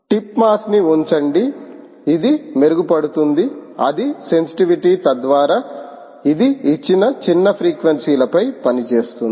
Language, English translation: Telugu, put a tip mass, get it, get, improve its sensitivity so that it works over a given small range of frequencies